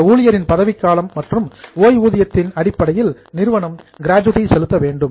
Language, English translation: Tamil, According to the tenure of that employee and the retirement salary of that employee, company has to pay gratuity